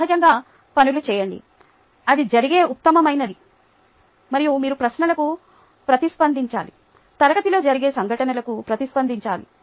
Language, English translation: Telugu, thats the best that can happen, and you need to respond to questions, respond to happenings in class